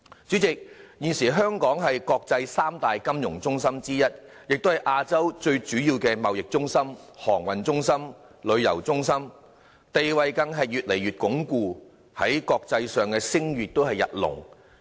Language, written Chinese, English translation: Cantonese, 主席，現時香港是國際三大金融中心之一，也是亞洲最主要的貿易中心、航運中心、旅遊中心，地位更越來越鞏固，在國際上聲譽日隆。, President as one of the three international financial centres and a major trade centre shipping centre and tourism centre in Asia Hong Kong enjoys an increasingly strengthened status and greater international reputation